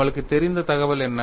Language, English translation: Tamil, What is the information that I know